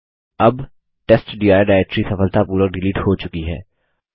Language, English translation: Hindi, Now the testdir directory has been successfully deleted